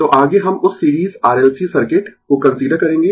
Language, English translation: Hindi, So, next we will consider that series R L C circuit